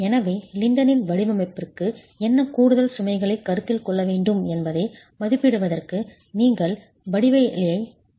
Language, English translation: Tamil, So you will have to check the geometry to be able to estimate what additional loads would have to be considered for the design of the Lintel itself